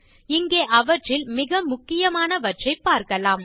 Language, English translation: Tamil, Here we will see only the most important of them